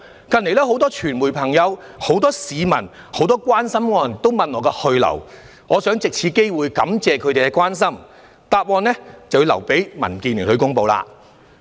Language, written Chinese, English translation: Cantonese, 近日很多傳媒朋友、很多市民和關心我的人也詢問我的去留，我想藉此機會感謝他們的關顧，但答覆就要留待民建聯公布。, I have recently been asked by some friends from the media the public and those who care about me whether I will stay or go . I would like to take this opportunity to thank them for their concern and I will leave the answer to DAB for a formal announcement